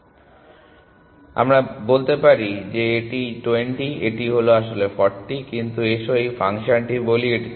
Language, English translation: Bengali, So, let me say this is 20 it is actually 40, but let us say this function thing it is 30